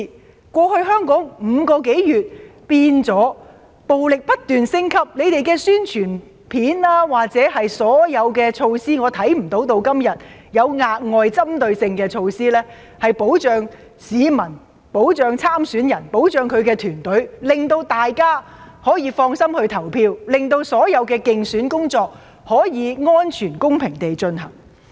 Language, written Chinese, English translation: Cantonese, 香港過去5個多月以來，已演變成暴力行為不斷升級，我看不到政府的宣傳片或所有措施，直到今天有任何額外針對性的措施，可以保障市民、參選人及其團隊，讓大家可以放心投票，讓所有競選工作可以安全、公平地進行。, Over the past five months Hong Kong has witnessed the incessant escalation of violence but I have not seen any propaganda video or measures by the Government . Up till today there are no extra and specific measures to protect the public candidates and their campaign workers so that members of the public can vote without worries and all campaign activities can be conducted in a safe fair and just manner